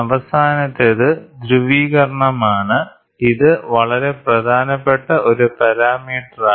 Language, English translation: Malayalam, The last one is polarization, which is a very very important parameter